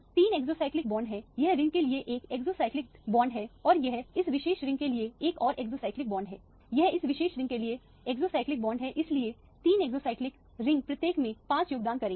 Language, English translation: Hindi, There are three exocyclic bonds this is 1 exocyclic bond to this ring and this is another exocyclic bond to this particular ring, this is an exocyclic double bond for this particular ring so the three exocyclic ring each will contribute 5